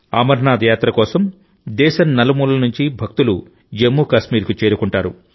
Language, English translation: Telugu, Devotees from all over the country reach Jammu Kashmir for the Amarnath Yatra